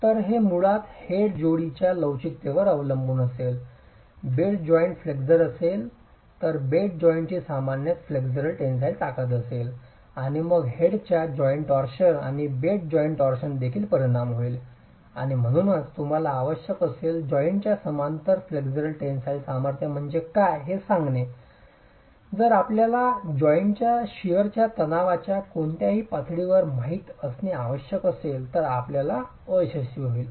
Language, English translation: Marathi, So, this is basically affected by head joint flexure, bed joint flexia, in which case it is the flexural tensile strength normal to the bed joint and then will also be affected by head joint torsion and bed joint torsion and therefore you will need an estimate of what the flexual tensile strength parallel to the joint is if you need to know at what level of shear stress will you get failure in the joint itself